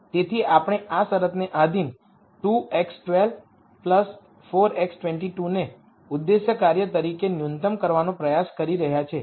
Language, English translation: Gujarati, So, we are trying to minimize 2 x 1 square 4 plus 4 x 2 squared as objective function subject to this constraint